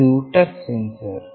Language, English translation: Kannada, This is the touch sensor